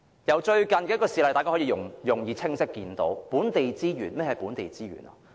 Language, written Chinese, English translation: Cantonese, 從最近的一件事例，大家可以容易、清晰地看到何謂本地資源。, From a recent incident we can easily and clearly see what local resources mean to us